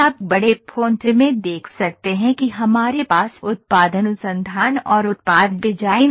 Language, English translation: Hindi, You can see in the bigger fonts we have product research and product design